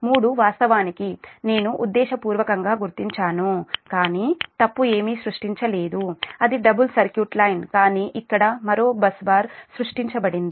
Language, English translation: Telugu, actually i have marked intentionally, but no fault, nothing is created, it's a double circuit line, but one more bus bar is created here